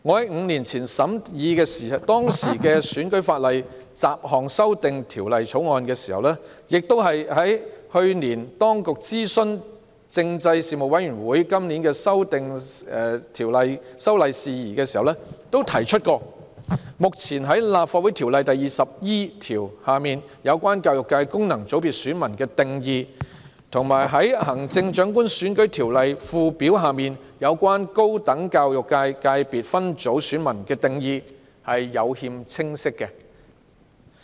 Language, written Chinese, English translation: Cantonese, 五年前審議當時的《選舉法例條例草案》，以及去年當局就今年的修例工作諮詢政制事務委員會時，我都提及《立法會條例》第 20E 條下有關教育界功能界別選民的定義，以及《行政長官選舉條例》附表下有關高等教育界界別分組選民的定義有欠清晰。, Five years ago when we scrutinized the then Electoral Legislation Bill and when the Administration consulted the Panel on Constitutional Affairs last year on the upcoming tasks in respect of legislative amendment I mentioned the unclear definition of the education FC electors under section 20E of the Legislative Council Ordinance and the definition of voters in the Higher Education subsector as listed in the Schedule to the Chief Executive Election Ordinance